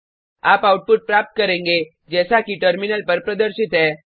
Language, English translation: Hindi, You will get the output as displayed on the terminal